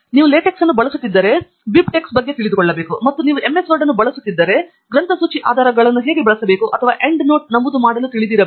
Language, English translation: Kannada, If you are going to use LaTeX, then you should know about BibTeX, and if you are going to use MS Word then you should know how to use bibliography citations or how to make endnote entries